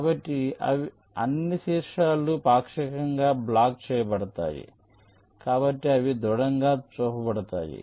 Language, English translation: Telugu, so all the vertices are partially block, so they are shown as solid